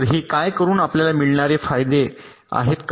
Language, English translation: Marathi, so by doing this, what are the advantage we gain